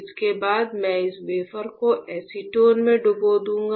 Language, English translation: Hindi, After this I will dip this wafer in acetone; if I dip this wafer in acetone